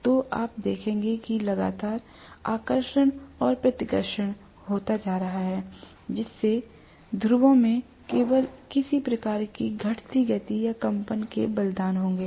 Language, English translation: Hindi, So you would see that continuously there will be attraction and repulsion taking place and that will cost only some kind of dwindling motion or vibration in the poles